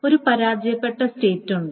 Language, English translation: Malayalam, Then, of course, there is a failed state